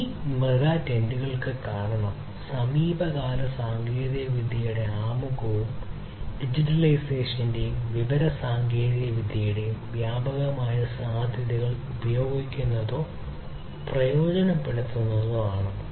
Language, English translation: Malayalam, These megatrends are due to the introduction of recent technologies and using or leveraging the pervasive potential of digitization and information technologies